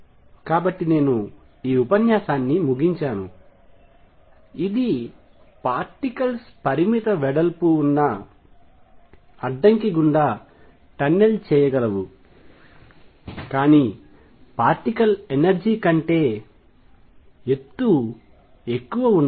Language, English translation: Telugu, So, I will just conclude this lecture which is a very short one that particles can tunnel through a barrier of finite width, but height greater than the energy of the particle